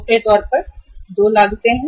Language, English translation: Hindi, Largely the costs are two